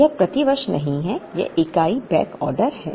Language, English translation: Hindi, This is not per year, this is unit backordered